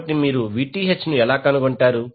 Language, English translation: Telugu, So, how will you able to find out the Vth